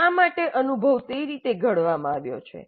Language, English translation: Gujarati, So why the experience has been framed that way